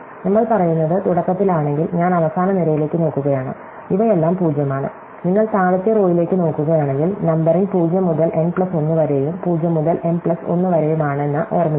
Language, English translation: Malayalam, So, what we say is that initially if I am looking at the last column, these are all 0’s and you’re looking at the bottom row, remember that the numbering is from 0 to n plus 1 and from 0 to m plus 1